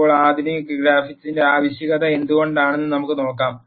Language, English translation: Malayalam, Now, let us see why there is a need for sophisticated graphics